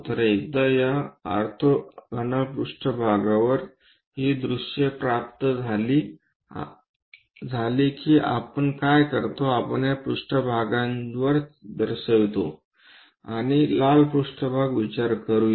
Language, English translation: Marathi, So, once these views are obtained on these orthogonal planes, what we do is we represents this one plane ; the red plane let us consider